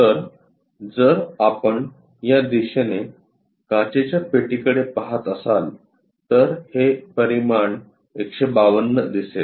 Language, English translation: Marathi, So, if we are looking in this direction for the glass box, this dimension 152 will be visible